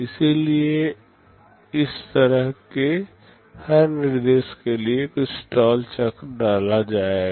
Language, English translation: Hindi, So, for every such instruction there will be some stall cycle inserted